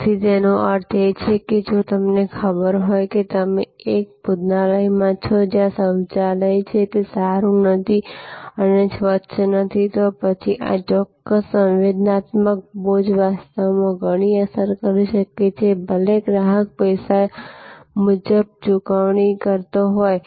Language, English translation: Gujarati, So; that means, if you know you are in a restaurant, where there is the toilet is not very good and this is not clean, then that this particular a sensory burden can actually affect a lot, even though the money wise the customer may be paying less and so on